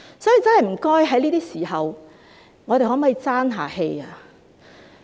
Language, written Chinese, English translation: Cantonese, 所以，在這些時候，我們可否真正"爭氣"？, Hence during these difficult times can we really brace up?